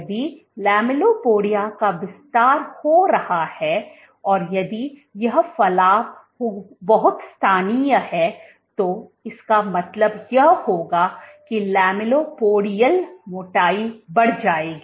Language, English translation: Hindi, If the lamellipodia is expanding and if this protrusion is very local this would mean that the lamellipodial thickness will increase